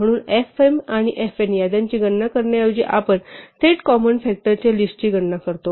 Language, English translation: Marathi, So instead of computing the lists fm and fn we directly compute the list of common factors